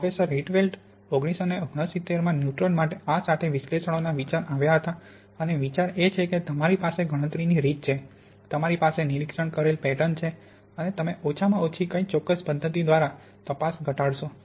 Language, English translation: Gujarati, Now the idea for this analysis was, came, Mister, Professor Rietveld came up with this in nineteen sixty nine for neutron diffraction and the idea is you have a calculated pattern, you have an observed pattern and you minimize the difference by least squares method